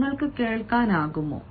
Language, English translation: Malayalam, are you audible